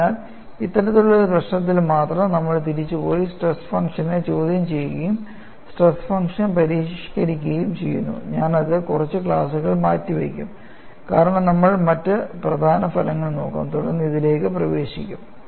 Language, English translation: Malayalam, So, only in this kind of a problem, we find, even we go back and question the stress function, and modify the stress function, which I would postpone for another few classes;, because we would looked at other important results, then get into this